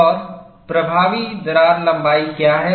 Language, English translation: Hindi, And what is the effective crack length